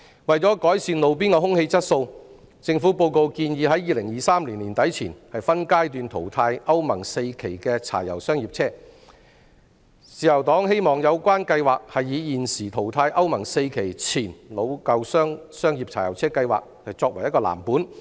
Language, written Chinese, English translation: Cantonese, 為了改善路邊空氣質素，施政報告建議在2023年年底前分階段淘汰歐盟 IV 期的柴油商業車，自由黨希望有關計劃是以現時淘汰歐盟 IV 期前老舊商業柴油車計劃作藍本。, In order to improve roadside air quality the Policy Address suggests progressively phasing out Euro IV diesel commercial vehicles by the end of 2023 . The Liberal Party hopes that the blueprint of this plan will be modelled on the existing scheme of phasing out the old pre - Euro IV diesel commercial vehicles